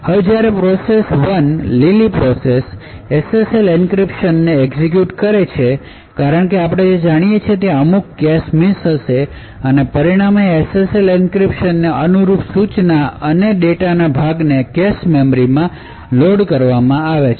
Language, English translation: Gujarati, Now, when the process one the green process executes the SSL encryption, as we know that there would be a certain number of cache misses that occurs, and as a result there will be parts of the instruction and data corresponding to this SSL encryption, which gets loaded into the cache memory